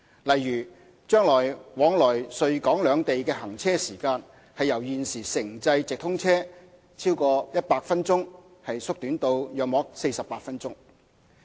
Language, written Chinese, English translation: Cantonese, 例如，將來往來穗港兩地的行車時間由現時城際直通車逾100分鐘縮短至約48分鐘。, For example the travelling time between Guangzhou and Hong Kong will be shortened from 100 minutes in the existing intercity through train service to 48 minutes in future